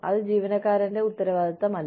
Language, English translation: Malayalam, It is not the employee